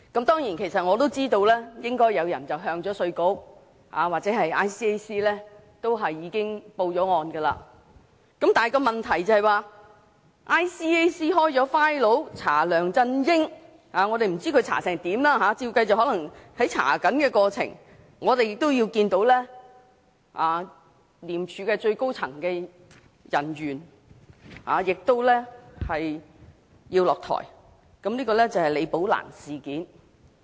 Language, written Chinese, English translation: Cantonese, 當然，我也知道應已有人向稅務局和廉署舉報，但問題是廉署開立檔案調查梁振英，我不知道調查進度如何，大概是正進行調查，其間我們已看到廉署最高層人員下台，這就是李寶蘭事件。, Certainly I am also aware that people had already reported the matter to IRD and ICAC and ICAC had opened a file to initiate the investigation on LEUNG Chun - ying . However I do not know the progress of investigation; probably the case is still under investigation . But we noticed that in the interim one of the most high - ranking officials had stepped down and that is the incident of Rebecca LI